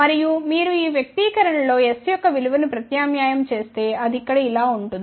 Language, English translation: Telugu, And, if you substitute this value of s in this expression it becomes like this here